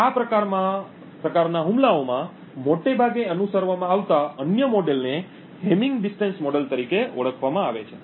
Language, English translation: Gujarati, The other model that is quite often followed in these kind of attacks is known as the hamming distance model